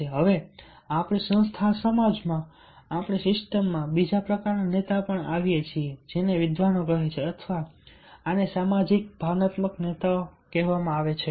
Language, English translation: Gujarati, now coming to the another type of leader in our system, in our organizations, society, these scholar say that these are called the socio emotional leaders